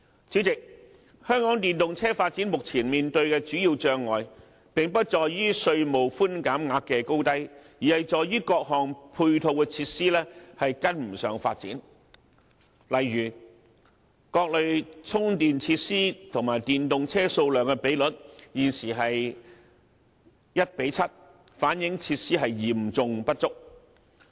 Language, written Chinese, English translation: Cantonese, 主席，香港電動車發展目前面對的主要障礙，並不在於稅務寬減額的高低，而是在於各項配套的設施未能追上發展，例如各類充電設施和電動車數量的比率，現時是 1：7， 反映設施嚴重不足。, President the major obstacle currently facing the popularization of EVs in Hong Kong lies not in the levels of tax concessions but that the various supporting facilities have fallen behind development . For example the current ratio of various types of charging facilities to EVs is 1col7 reflecting a serious shortage of such facilities